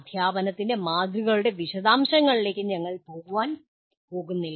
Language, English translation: Malayalam, Once again we are not going to get into the details of models of teaching